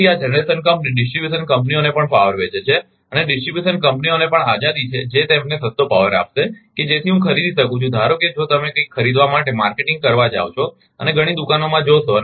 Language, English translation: Gujarati, So, this generation company is also selling power to the distribution companies and, distribution companies also have the freedom, who will give him a cheapest power such that I can buy suppose if, you go for marketing for buying something and going to several shops